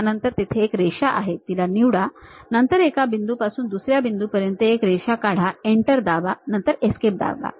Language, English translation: Marathi, Then there is a Line, pick that Line, then from one point to other point draw a line then press Enter, then press Escape